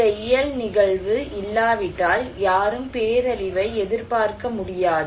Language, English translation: Tamil, If this physical event is not there, nobody could expect a disaster